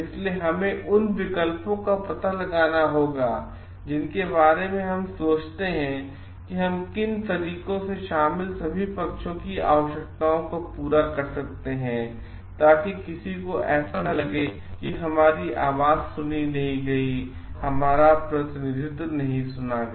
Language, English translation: Hindi, So, we have to find out options we have think of ways in which we can try to meet the need of the all the parties so that nobody feels like we have been derived my voices not been represented or heard